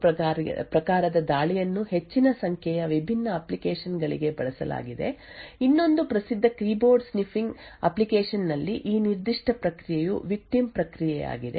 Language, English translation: Kannada, Besides cryptography the prime and probe type of attack have been used for a larger number of different applications, one other famous application is for keyboard sniffing, so this particular process is the victim process